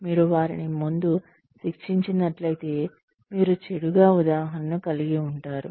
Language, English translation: Telugu, If you punish them up front, then you could be setting a bad example